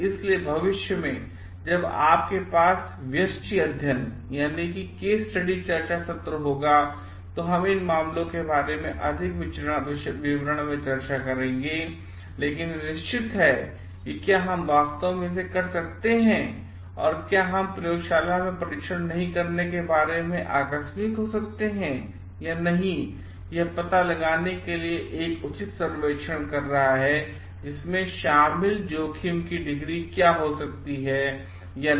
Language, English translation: Hindi, So, in the future when we will have the case discussion sessions, we will discuss more in details about it from the cases, but these are certain like whether we can really do it and can we be casual about not doing a laboratory test or not doing a proper survey to find out to what could be the degree of risk involved or not